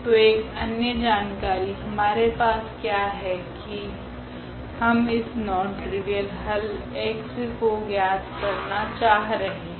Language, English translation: Hindi, So, what is other information we have that we are looking for this non trivial solution x